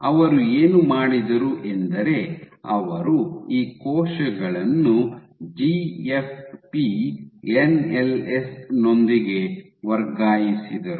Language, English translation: Kannada, So, what they did was they transfected these cells with GFP NLS